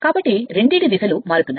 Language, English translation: Telugu, So, both directions are changing